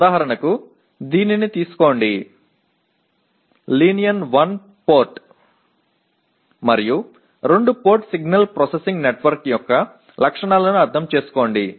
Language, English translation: Telugu, For example take this, understand the characteristics of linear one port and two port signal processing network